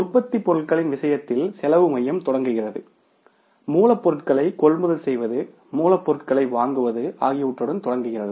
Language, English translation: Tamil, Cost center begins with in case of the manufacturing products begins with the procurement raw material purchase of the raw material